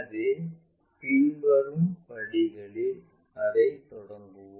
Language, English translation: Tamil, So, let us begin that with the following steps